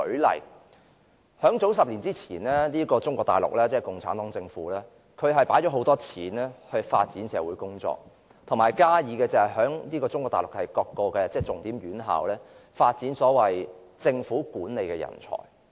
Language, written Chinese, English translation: Cantonese, 例如，中國大陸即共產黨政府於10年前投放大量金錢發展社會，以及在各重點院校發展所謂政府管理人才。, For instance a decade ago Mainland China that is the communist regime injected abundant money into social development as well as the development of the so - called government management talents in various key institutions